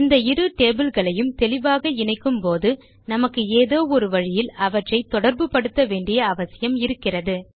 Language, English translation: Tamil, So to explicitly connect these two tables, we will still need to link them someway